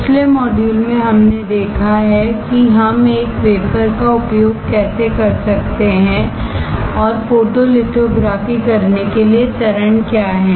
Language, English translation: Hindi, In the last module we have seen how we can use a wafer; and what are the steps to perform photolithography